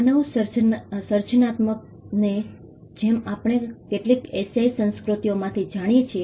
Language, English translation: Gujarati, Human creativity as we know from certain Asian cultures